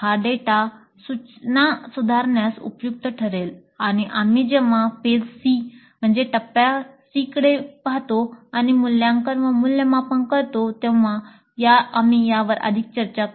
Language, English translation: Marathi, So this data would be helpful in improving the instruction and we'll discuss this further when we look at the phase C, which is assessment and evaluation